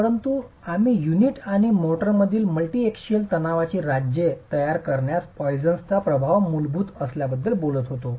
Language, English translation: Marathi, So we were talking about the poisons effect being fundamental in creating the states of multi axial stress in the unit and the motor